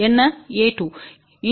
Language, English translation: Tamil, What is a 1